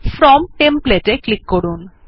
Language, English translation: Bengali, Click on From template